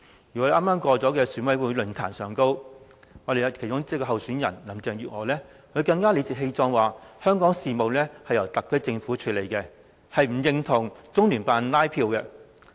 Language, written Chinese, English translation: Cantonese, 而在剛剛過去的選委論壇上，其中一位候選人林鄭月娥更理直氣壯地說，香港事務是由特區政府處理，不認同中聯辦拉票。, At a recent Election Committee EC forum Carrie LAM one of the candidates said justly and forcefully that Hong Kongs affairs have been handled by the SAR Government and she did not agree that LOCPG has been canvassing for her